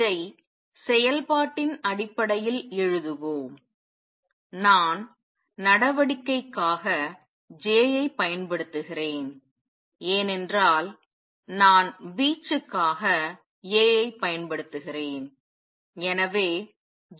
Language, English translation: Tamil, Let us write this in terms of action, let me use J for action because I am using A for amplitude